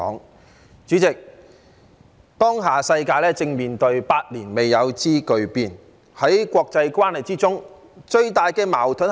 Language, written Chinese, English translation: Cantonese, 代理主席，當下世界正面對百年未有之巨變，在國際關係中最大的矛盾是甚麼？, Deputy President what is the biggest conflict in international relations while the world is now facing the most drastic changes in a century?